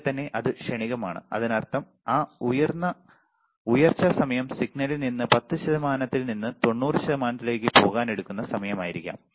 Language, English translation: Malayalam, Right there is it transient; that means, that rise time might be the time it takes from signal to go from 10 percent to 90 percent